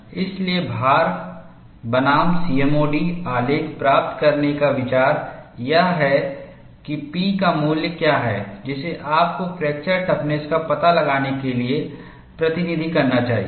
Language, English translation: Hindi, So, the idea of getting the load versus C M O D graph is to find out, what is the value of P that you should substitute, for finding out fracture toughness